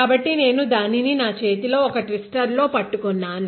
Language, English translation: Telugu, So, I am just holding it in a twister in my hand